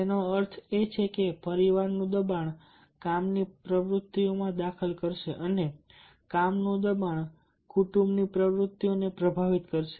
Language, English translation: Gujarati, in some respect, that means the pressure from the family will interfere with work activities and the pressure from the work will influence the family activities